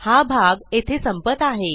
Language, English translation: Marathi, Thats the end of this part